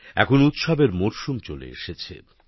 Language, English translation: Bengali, The season of festivals has also arrived